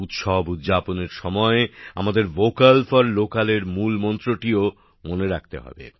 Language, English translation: Bengali, At the time of celebration, we also have to remember the mantra of Vocal for Local